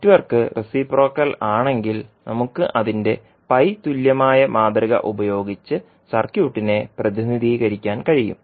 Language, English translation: Malayalam, So, if the circuit is, if the network is reciprocal we can represent circuit with its pi equivalent model